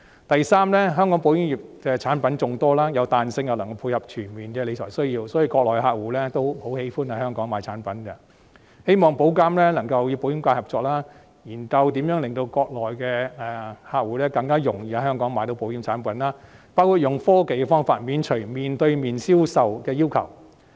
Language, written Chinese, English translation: Cantonese, 第三，香港保險業產品眾多，具彈性又能配合全面的理財需要，所以國內客戶十分喜歡在香港購買產品，希望保監局能夠與保險界合作，研究如何令國內的客戶更容易在香港購買保險產品，包括採用科技的方法，免除面對面銷售的要求。, Third as the insurance industry of Hong Kong offers a variety of products that allow for flexibility while catering to a comprehensive range of wealth management needs Mainland customers prefer purchasing insurance products in Hong Kong . I hope that IA can join hands with the insurance sector to study how to make it easier for Mainland customers to purchase insurance products including the adoption of technology to lift requirements on face - to - face sales